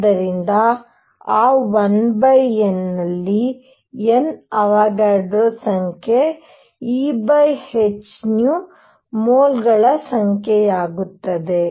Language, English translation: Kannada, So, that one over N; N is Avogadro number E over h nu becomes number of moles